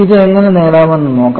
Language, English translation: Malayalam, Let us see how we can do it